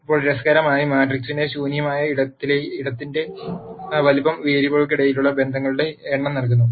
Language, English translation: Malayalam, Now interestingly the size of the null space of the matrix provides us with the number of relationships that are among the variables